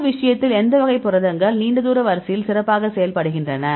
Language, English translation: Tamil, So, in this case, which type of which class of proteins perform better with long range order